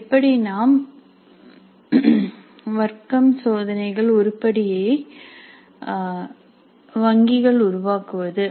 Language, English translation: Tamil, Then the class tests, how do we create item banks for the class test